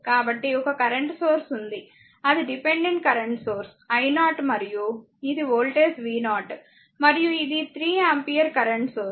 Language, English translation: Telugu, So, one current source is that is a dependent current source such these the current i 0 and this is your voltage v 0 and this is the 3 ampere current source you have to find out i 0 and v 0